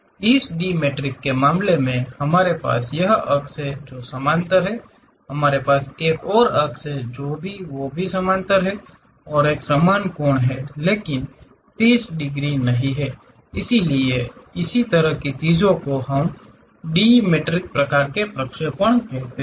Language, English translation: Hindi, In the case of dimetric, we have this axis which is parallel; we have another axis that that is also parallel, these are having same angle, but not 30 degrees; so, this kind of things what we call dimetric kind of projections